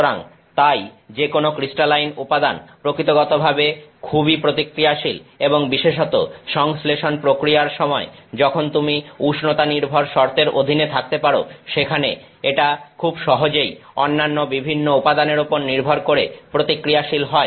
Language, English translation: Bengali, So, therefore, any nanocrystalline material by nature is very reactive and so, even particularly during the synthesis process, where maybe you are under temperature conditions, where it can more easily react with the various other constituents